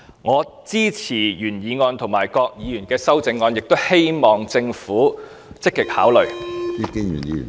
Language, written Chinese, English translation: Cantonese, 我支持原議案及各議員的修正案，亦希望政府積極考慮當中建議。, I support the original motion and its amendments proposed by various Members and hope that the Government would actively consider the proposals put forward